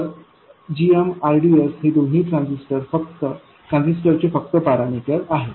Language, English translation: Marathi, So this GM RDS both are just parameters of the transistor